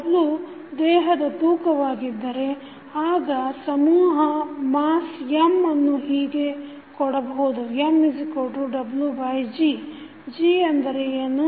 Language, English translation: Kannada, If w is the weight of the body then mass M can be given as M is equal to w by g